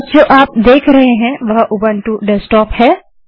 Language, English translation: Hindi, What you are seeing now, is the Ubuntu Desktop